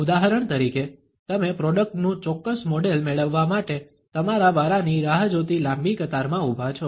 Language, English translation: Gujarati, For example, you have been standing in a long queue waiting for your turn to get a particular model of a product